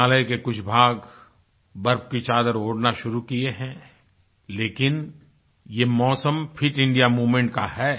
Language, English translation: Hindi, Parts of the Himalaya have begun to don sheets of snow, but this is the season of the 'fit India movement' too